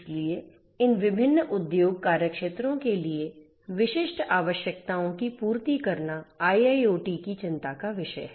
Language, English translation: Hindi, So, catering to those specific requirements for these different industry verticals is what IIoT should concerned